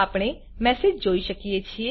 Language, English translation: Gujarati, We can see the messages here